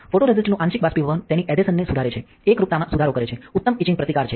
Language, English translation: Gujarati, So, that partially evaporation of photoresist solvents it improves the adhesion, improves uniformity, improves etch etching etch etch resistance